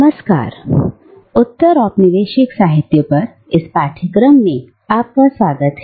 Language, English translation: Hindi, Hello and welcome back to this course on postcolonial literature